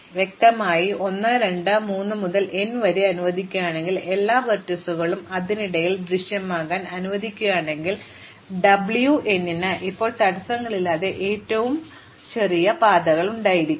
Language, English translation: Malayalam, And obviously, if I allow 1, 2, 3 up to n I allow all the vertices to appear in between, W n will now have the shortest paths with no constraints